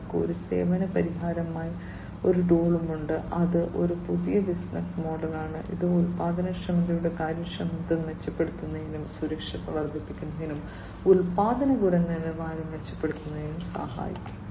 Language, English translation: Malayalam, So, they also have a tools as a service solution, which is a new business model, which can help in improving the efficiency of productivity, enhancing the safety, and improving product quality